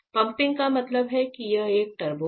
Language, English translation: Hindi, So, fine pumping means it is a turbo know